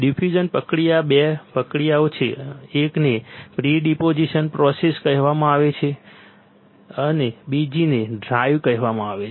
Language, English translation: Gujarati, There are 2 process in diffusion process one is called pre deposition process the other is called drive